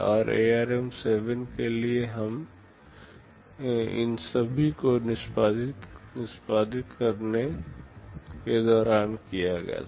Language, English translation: Hindi, And for ARM7 all of these were done during execute